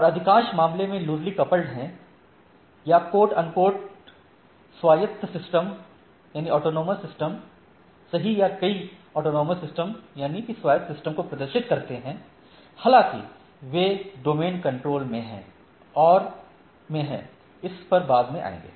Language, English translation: Hindi, And most of the cases they are loosely coupled or quote unquote autonomous system, right or several autonomous system though they are at domain control, will come in this subsequently in this